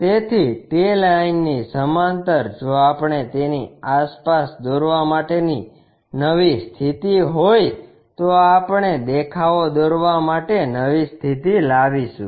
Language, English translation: Gujarati, So, parallel to that line if we are new position to construct around that we will bring new position to construct the views